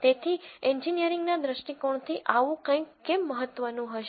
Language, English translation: Gujarati, So, from an engineering viewpoint why would something like this be important